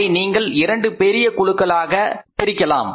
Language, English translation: Tamil, You can largely divide it into two groups